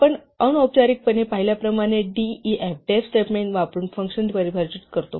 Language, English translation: Marathi, We define functions using the def statement as we have seen informally